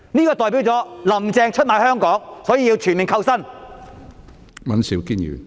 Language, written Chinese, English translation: Cantonese, 沒有，這代表"林鄭"出賣香港，所以要全面扣薪。, No . This indicates that Carrie LAM has sold out Hong Kong and thus all her salary must be withheld